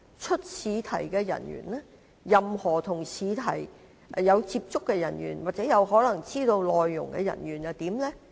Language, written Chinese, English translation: Cantonese, 出試題的人員、任何與試題有接觸的人員或有可能知道試題內容的人員又應如何規管？, How should those who design examination questions or have access to or knowledge of the contents of examination questions be monitored?